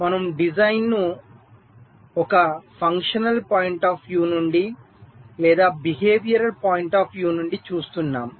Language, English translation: Telugu, we are looking at the design from either a functional point of view or from a behavioural point of view